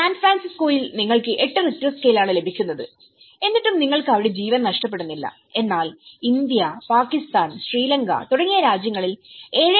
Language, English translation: Malayalam, In San Francisco, you are getting eight Richter scale but still, you are not losing lives over there but in India countries like India or Pakistan or Sri Lanka even a 7